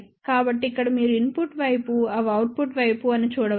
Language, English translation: Telugu, So, here you can see these are the input side, these are the output side